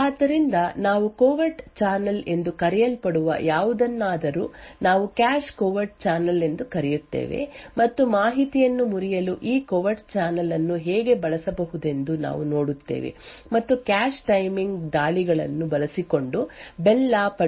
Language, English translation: Kannada, So we would start with something known as a covert channel we look at something known as a cache covert channel and we would see how this covert channel could be used to break information and we would see how schemes such as the Bell la Padula model can be broken using cache timing attacks